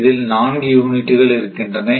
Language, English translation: Tamil, Then 4 units are operating